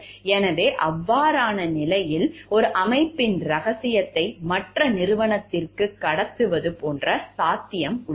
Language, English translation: Tamil, So, in that case, there could be possibility of like passing away secret of one organization to the other organization